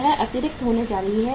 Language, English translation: Hindi, This is going to be the excess